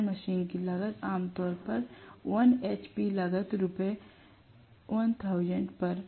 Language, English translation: Hindi, Induction machine cost is normally 1 hp cost Rs